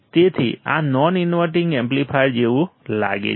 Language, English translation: Gujarati, This is a non inverting amplifier